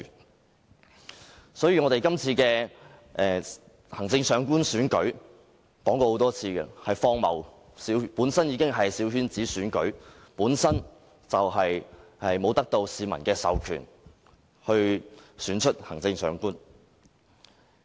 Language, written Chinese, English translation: Cantonese, 我們已經多次指出，今次行政長官選舉是荒謬的，它本身已是小圈子選舉，沒有得到市民授權而選出行政長官。, As we pointed out repeatedly this Chief Executive Election is ridiculous . As the election is coterie in nature the Chief Executive so elected does not have the peoples mandate